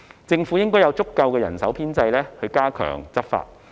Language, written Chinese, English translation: Cantonese, 政府應該有足夠的人手編制加強執法。, The Government should have sufficient staffing to strengthen law enforcement